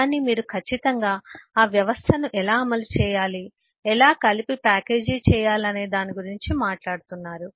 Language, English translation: Telugu, but you are certainly talking about how to implement that system, how to package it together